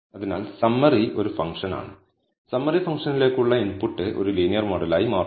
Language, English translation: Malayalam, So, summary is a function the input to the summary function becomes a linear model